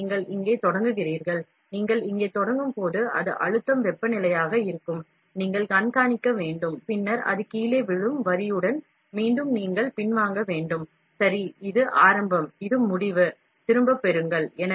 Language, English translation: Tamil, So, you start here, when you start here, it will be pressure temperature, you have to monitor and then it drops down, along the line, again you have to withdraw back, right this is start, this is end, withdraw back